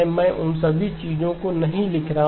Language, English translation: Hindi, So I am not writing down all those things